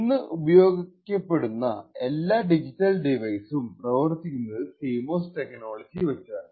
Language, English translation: Malayalam, Now every digital device that is being used today works on CMOS technology atleast